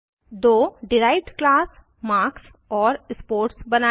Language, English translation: Hindi, *Create two derived class marks and sports